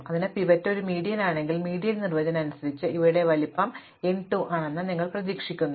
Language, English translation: Malayalam, So, if the pivot is a median then you would expect that by definition of the median that these are of size n by 2